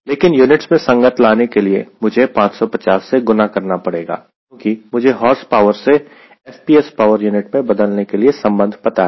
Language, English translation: Hindi, but to be consistent in unit i have to multiply five fifty because i know the relationship of converting horsepower into the h p s power unit